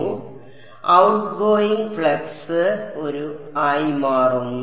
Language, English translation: Malayalam, So, outgoing flux becomes a